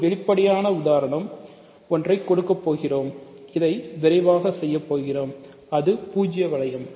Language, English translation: Tamil, So, one trivial example to just get rid of is we will quickly say this: the zero ring